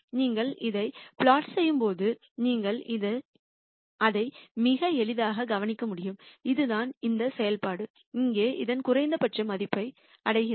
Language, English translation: Tamil, And when you plot this you can quite easily notice that, this is the point at which this function right here attains its minimum value